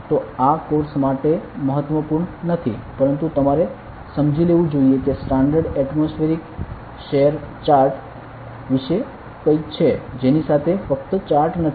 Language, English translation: Gujarati, So, this is not important for the course, but you should understand that there is something about standard atmospheric share chart, with which is not just a chart